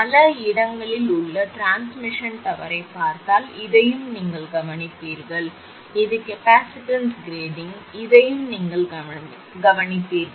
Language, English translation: Tamil, If you look at the transmission tower in many places this thing also you will observe, this is capacitance grading, this thing also you will observe